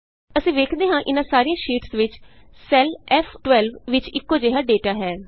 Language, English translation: Punjabi, We see that in each of these sheets, the cell referenced as F12 contains the same data